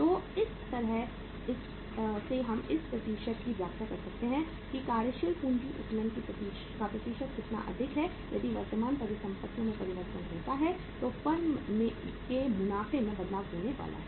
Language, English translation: Hindi, So this is how we interpret this percentage that how higher the percentage of working capital leverage higher is going to be the change in the profits of the firm if there is a change in the current assets